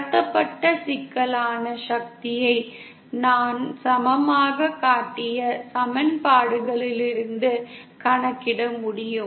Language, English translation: Tamil, The complex power transmitted can be can calculated from the equations that I just showed to be equal to